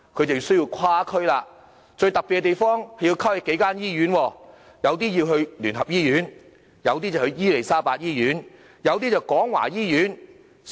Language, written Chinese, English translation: Cantonese, 他們需要跨區，最特別之處，是要跨區到數間不同的醫院，有些前往基督教聯合醫院，有些前往伊利沙伯醫院，有些則是廣華醫院。, They have to go to other districts . The most peculiar point is they need to go to several different hospitals in other districts some to the United Christian Hospital some to the Queen Elizabeth Hospital and some to the Kwong Wah Hospital